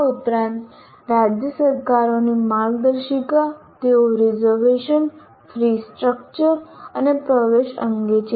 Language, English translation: Gujarati, In addition to this, guidelines of state governments, they are with regard to reservations, fee structure and admissions